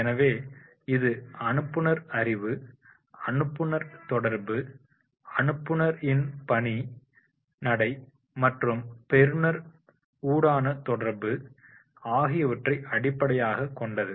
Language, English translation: Tamil, So, it is the sender's knowledge, senders communication, senders content, send us style of working and interaction with the receiver